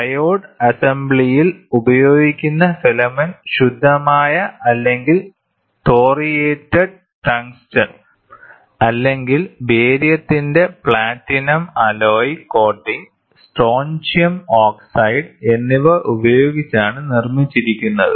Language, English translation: Malayalam, The filament used in triode assembly is made of pure or thoriated tungsten or platinum alloy coating of barium and strontium oxide